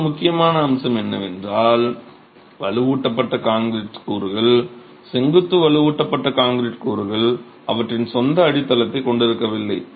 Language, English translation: Tamil, Another important aspect is the fact that the reinforced concrete elements, the vertical reinforced concrete elements do not have a foundation of their own